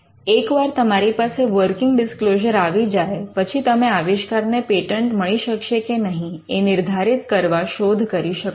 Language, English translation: Gujarati, Once you have a working disclosure, you do a search to understand whether the invention can be patented